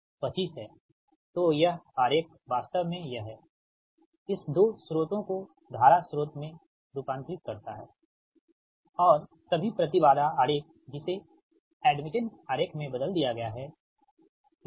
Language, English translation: Hindi, so this diagram, this one, actually transform this two sources, transform in to current source and all the impedance diagram i have been transform in to admittance diagram, right